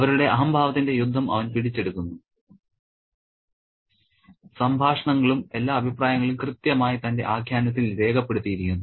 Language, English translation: Malayalam, And he captures the entire battle of egos, so to speak with the dialogues and all the comments precisely in his narrative